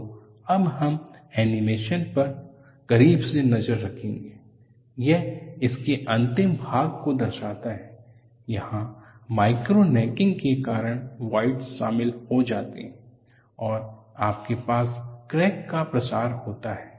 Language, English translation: Hindi, So, what we will look at now is, we will have a closer look at the animation; this shows the last part of it, where voids are joined due to micro necking, and you have a crack propagation, the process starts here